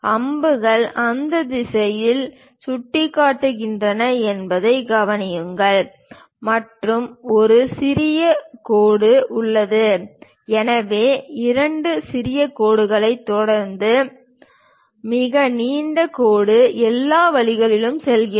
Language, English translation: Tamil, Observe that arrows are pointing in that direction and there is a dash small dashed lines; so, a very long dash followed by two small dashed lines goes all the way